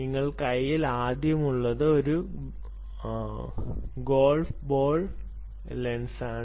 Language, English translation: Malayalam, the first one she has in her hand is a golf ball lens